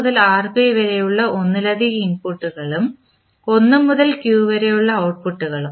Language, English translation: Malayalam, Where all multiple inputs starting from R1 to Rp and outputs are from 1 to q